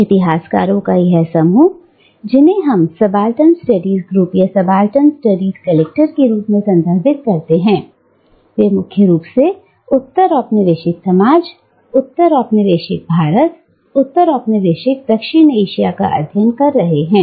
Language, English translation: Hindi, And this group of historians, whom we refer to as the Subaltern Studies Group, or Subaltern Studies Collective, they were primarily studying postcolonial societies, postcolonial India, postcolonial South Asia